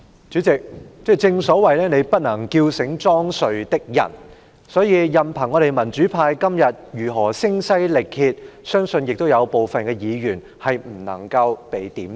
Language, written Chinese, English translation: Cantonese, 主席，正所謂"你不能叫醒裝睡的人"，所以任憑我們民主派今天如何聲嘶力竭，相信亦都有部分議員不能夠被"點醒"。, President as the saying goes you cannot wake a man pretending to be asleep . Therefore no matter how we in the democratic camp have shouted ourselves hoarse today to make our voices heard I believe some Members still will not wake up